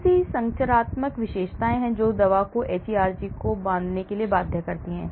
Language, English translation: Hindi, So, what are the structural features that lead to binding of the drug to hERG